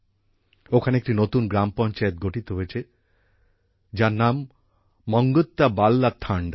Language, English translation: Bengali, A new Gram Panchayat has been formed here, named 'MangtyaValya Thanda'